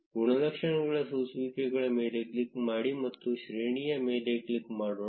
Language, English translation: Kannada, Let us click on the attributes filters and click on range